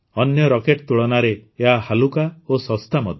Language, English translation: Odia, It is also lighter than other rockets, and also cheaper